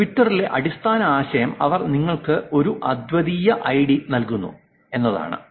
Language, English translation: Malayalam, The basic idea in Twitter is that they give you a unique ID